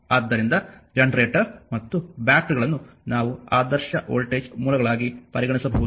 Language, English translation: Kannada, So, either generator and batteries you can you can be regarded as your ideal voltage sources that way we will think